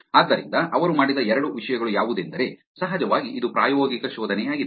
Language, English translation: Kannada, So, two things that they did, of course it was experimental reseatch